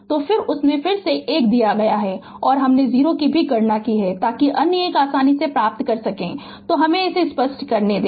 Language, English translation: Hindi, So, then and 1 of them is given and i 0 also we have computed so other 1 easily you can get it, so let me clear it